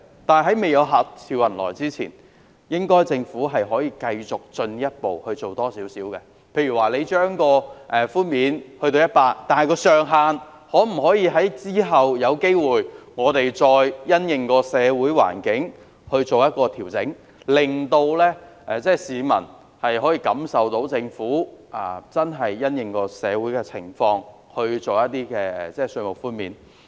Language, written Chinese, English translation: Cantonese, 但是，未做到客似雲來之前，政府可以繼續多做一點，例如把寬免比率提高至 100% 後，可以考慮因應社會環境再調整上限，令市民感受到政府真的因應社會情況而提供稅務寬免。, However before this can be done the Government can continue to do more such as after raising the percentage for tax reduction to 100 % it can adjust the ceiling of tax reduction taking into account the social situation . In this way members of the public will realize that the Government has really offered tax reduction in response to the social situation